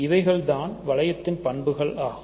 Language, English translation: Tamil, So, these are properties of a ring